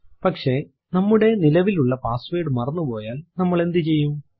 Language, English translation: Malayalam, But what if we have forgotten our current password